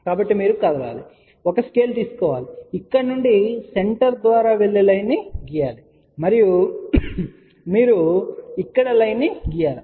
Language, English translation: Telugu, So, you have to move, take a scale, draw the line from here passing through the center and you draw the line here